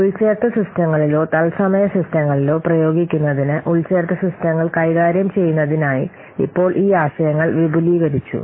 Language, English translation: Malayalam, So now these concepts have been extended to handle embedded systems to apply on embedded systems or real time systems